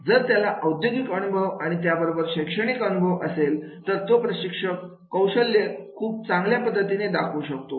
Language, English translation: Marathi, If the he is having the industrial experience and with the academic experience, he will be able to demonstrate his training skills in a much better way